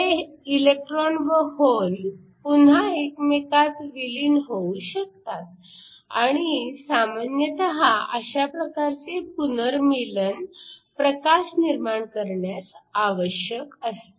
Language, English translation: Marathi, These electrons and holes can recombine and typically we want this recombination to give us light